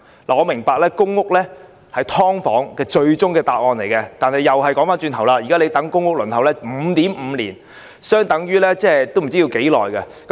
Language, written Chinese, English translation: Cantonese, 我明白公屋是"劏房"問題的最終答案，但話說回頭，現時公屋的輪候時間長達 5.5 年，其實真的不知要等多久。, I appreciate that public housing is the ultimate answer to the problem of subdivided units . But that said the current waiting time for public housing is as long as 5.5 years . It is actually not known how long they have to wait